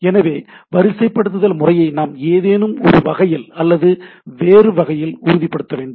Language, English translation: Tamil, So, the sequencing mechanisms need to be ensured in some way or other right